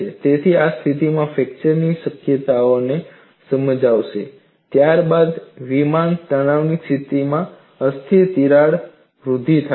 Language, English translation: Gujarati, So, this explains the possibility of stable fracture followed by unstable crack growth in the case plane stress situation